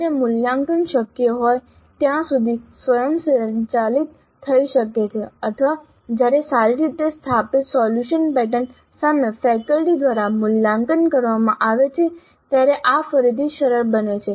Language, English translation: Gujarati, This again is facilitated when the evaluation can be automated to the extent possible or when the evaluation is by a faculty against well established solution patterns